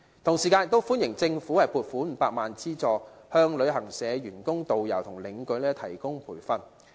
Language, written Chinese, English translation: Cantonese, 同時，我亦歡迎政府撥款500萬元資助，向旅行社員工、導遊和領隊提供培訓。, Besides I also welcome the Governments initiative of setting aside 5 million for providing training to staff of travel agents tourist guides and tour escorts